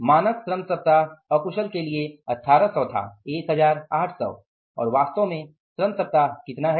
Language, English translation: Hindi, The standard labor weeks were 1,800s and actual labor weeks are how much